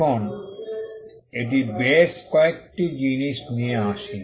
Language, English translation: Bengali, Now, this brings couple of things into play